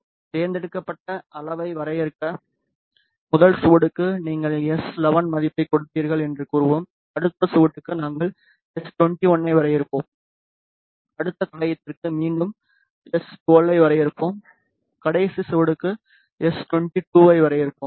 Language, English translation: Tamil, In order to define select measure then let us say for the first trace you will give the value s 11, for the next trace we will define s 21 and for the next trace again we will define s 12 and for last trace we will define s 22, ok